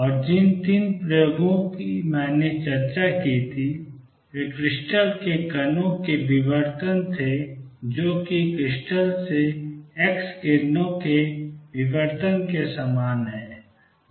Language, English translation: Hindi, And 3 experiments that I had discussed was diffraction of particles from a crystal, which is similar to diffraction of x rays from a crystal